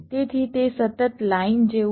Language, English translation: Gujarati, so it is like a continues line